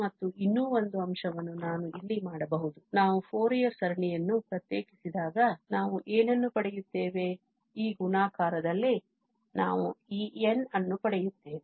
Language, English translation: Kannada, And, just one more point I can make it here that when we differentiate the Fourier series what we get, we obtain this n in this multiplication